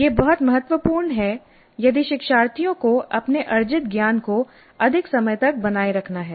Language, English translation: Hindi, Now this is very important if the learners have to retain their knowledge acquired for longer periods of time